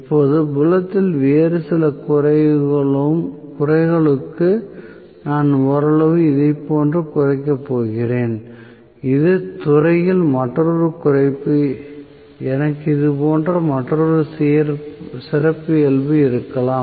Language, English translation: Tamil, Now, for some other reduction in the field I am going to have somewhat like this another reduction in the field I may have another characteristic like this and so on